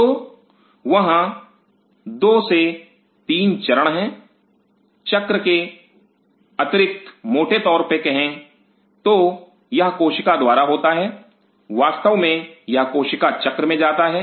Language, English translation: Hindi, So, there are 2 3 phases apart from the cycle it goes through broadly speaking cell of course, it goes to cell cycle